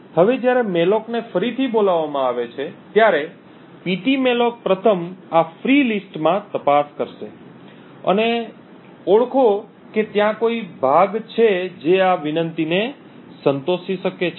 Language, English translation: Gujarati, Now when malloc is invoked again pt malloc would first look into these free list and identify if there is a chunk which can satisfy this particular request